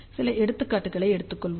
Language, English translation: Tamil, So, let us take a few examples